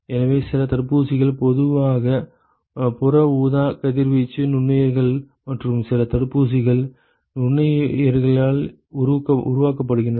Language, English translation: Tamil, So, some vaccines, they are attenuated, typically using ultraviolet radiation, microorganisms and some vaccines are actually generated they are generated in microorganisms